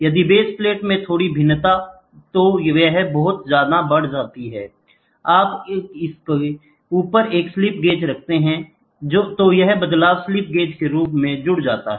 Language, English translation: Hindi, If there is a small variation in the base plate, that will be in turn amplified when you keep a slip gauge on top of it, then a slip gauge as a variation it goes to it